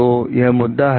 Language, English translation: Hindi, So, this is the issue